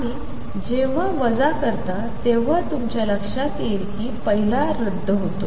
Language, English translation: Marathi, Subtract 2 from 1 and when you subtract you notice that the first one cancels